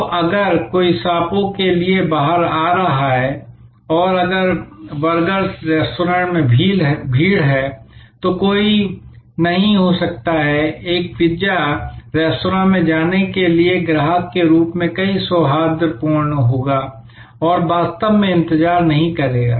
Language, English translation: Hindi, So, if one is going out for snakes and if there is a rush at the burger restaurant, one may not be, one will be quite amenable as a customer to move to a pizza restaurant and not actually wait